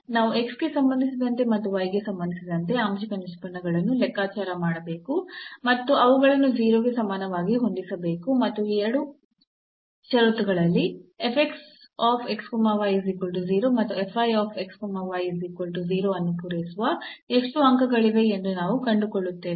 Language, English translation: Kannada, So, what we have to do now to find the critical points, we have to compute the partial derivatives with respect to x and with respect to y and set them equal to 0 and out of these two conditions we will find out how there are how many points which satisfy f x is equal to 0 and f y is equal to 0